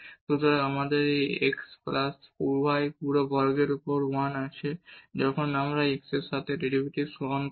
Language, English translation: Bengali, So, we have 1 over this x plus y whole square and when we take the derivative with respect to x